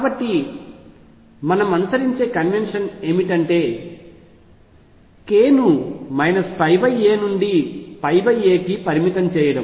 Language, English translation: Telugu, So, what the convention we follow is restrict k to minus pi by a to plus pi by a